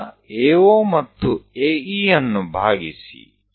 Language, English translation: Kannada, Now, divide AO and AE